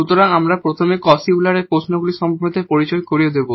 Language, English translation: Bengali, So, we will first introduce what are the Cauchy Euler questions and then their solution techniques